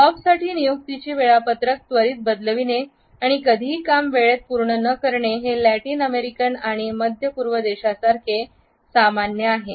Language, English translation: Marathi, For Bob it is normal to quickly change appointment schedules and not meet deadlines this behavior is common in Latin American and middle eastern countries